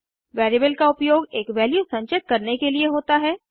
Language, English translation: Hindi, Variable is used to store a value